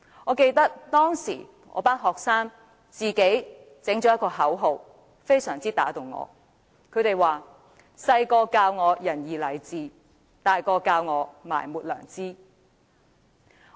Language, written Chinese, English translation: Cantonese, 我記得，當時我的學生創作了一句口號，深深打動了我，那句口號是"細個教我仁義禮智，大個教我埋沒良知"。, I remember that my students had created a slogan back then which deeply impressed me . The slogan is Teaching me the virtues of benevolence righteousness propriety and wisdom in my youth while telling me to betray my conscience in my adulthood